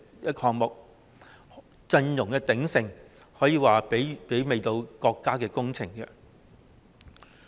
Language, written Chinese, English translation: Cantonese, 支持者陣容之鼎盛，可說是媲美國家工程。, The line - up of supporters this time is comparable to that for a national project